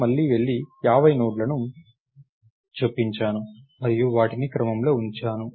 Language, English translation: Telugu, I go and insert 50 more nodes and have them in order